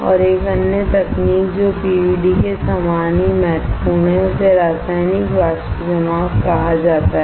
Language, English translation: Hindi, And another technique which is as important as PVD is called Chemical Vapor Deposition right